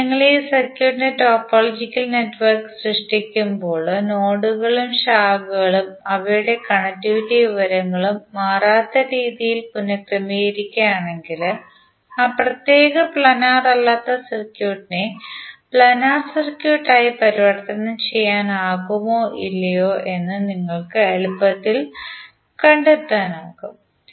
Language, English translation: Malayalam, So when you create the topological network of this circuit and if you rearrange the nodes and branches in such a way that their connectivity information is not changed then you can easily find out whether that particular non planar circuit can be converted into planar circuit or not